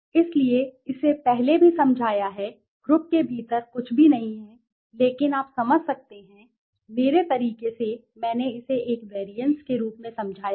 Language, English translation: Hindi, I have explained it earlier also, within group is nothing but you can understand, in my way I have explained it as a variances